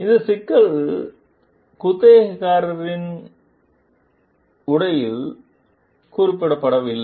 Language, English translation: Tamil, These problems were not mentioned in the tenant s suit